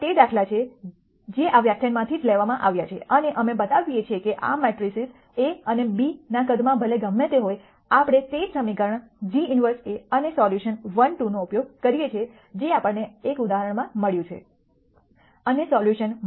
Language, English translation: Gujarati, These are the examples that were picked from this lecture itself and we show that irrespective of whatever be the sizes of this matrices a and b, we use the same equation g inverse A and the solution 1 2 that we got in one example and the solution minus 0